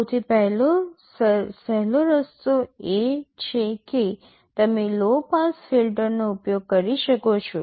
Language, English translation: Gujarati, The simplest way is you can use a low pass filter